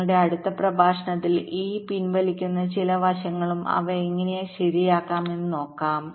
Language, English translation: Malayalam, so in our next lecture we shall be looking at some of these draw backs and how to rectify them